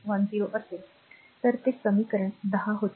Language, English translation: Marathi, 10 first that was a equation 10 right